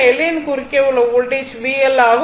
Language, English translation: Tamil, This is L that is voltage across L